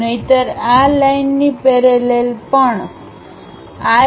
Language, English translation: Gujarati, Otherwise, parallel to this line this line also parallel